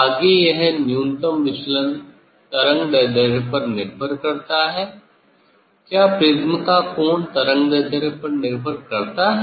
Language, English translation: Hindi, next this minimum deviation depends on the wavelength; angle of the prism does the depend on the wavelength